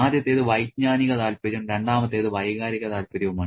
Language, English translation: Malayalam, The first one is the cognitive interest and the second was the emotional interest